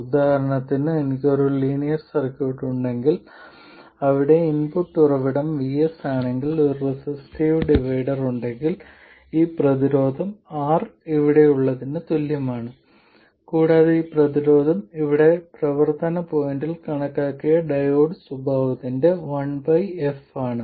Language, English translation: Malayalam, So, for instance, if I had a linear circuit where the input source is vS and there is a resistive divider, this resistance is R exactly the same as here, and this resistance is 1 by f prime of the diode characteristic calculated at the operating point, you will get the same solution, right